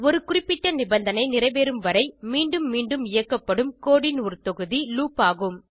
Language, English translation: Tamil, Loop is a block of code executed repeatedly till a certain condition is satisfied